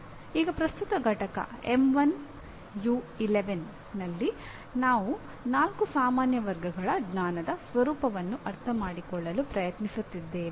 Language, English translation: Kannada, Now, in present unit M1U11 we are trying to understand the nature of four general categories of knowledge